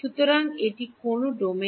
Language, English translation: Bengali, So, this is in which domain